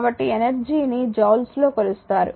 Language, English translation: Telugu, So, energy is measured in joules